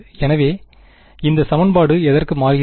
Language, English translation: Tamil, So, what does this equation turn into